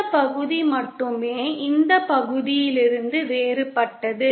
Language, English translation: Tamil, Only this part is different from this part